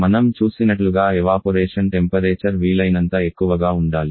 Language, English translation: Telugu, As we have seen the evaporation temperature has to be as it as possible